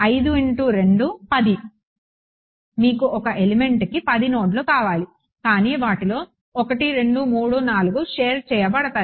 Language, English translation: Telugu, 5 into 2 10 you would thing 10 nodes per element, but of those 1 2 3 4 are shared